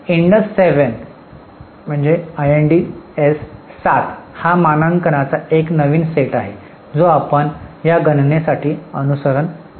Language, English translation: Marathi, IND AS7 is a new set of standard which we are following for this calculation